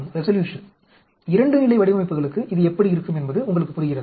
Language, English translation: Tamil, Do you understand how it looks like for a 2 level designs